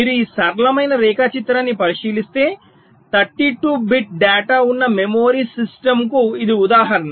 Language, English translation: Telugu, so if you look at this simple diagram, this is the example of a memory system where there are, lets say, thirty two bit data